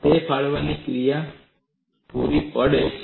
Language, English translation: Gujarati, It provides a tearing action